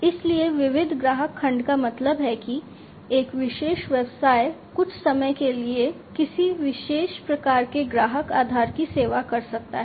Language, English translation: Hindi, So, diversified customer segment means like you know a particular business might be serving, a particular type of customer base for some time